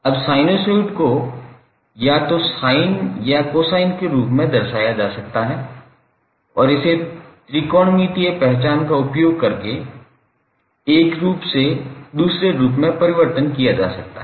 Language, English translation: Hindi, Now, sinusoid can be represented either in sine or cosine form and it can be transformed from one form to other from using technometric identities